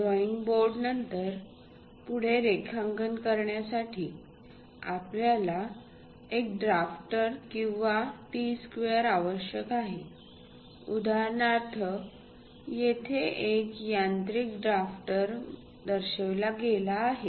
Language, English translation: Marathi, Next to the drawing table, we require a drafter or a T square for drawing lines; for example, here, a mechanical drafter has been shown